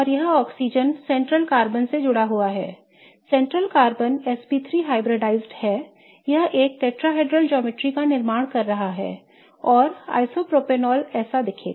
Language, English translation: Hindi, The central carbon isp3 hybridized it is forming a tetrahedral geometry and that's how isopropinol will look, right